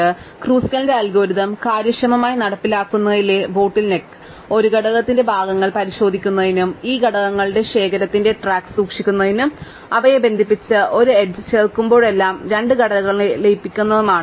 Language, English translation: Malayalam, So, the bottle neck in implementing Kruskal's algorithm efficiently is to keep track of this collection of components in order to check which component a vertex belongs to, and to merge two components whenever we add an edge connecting them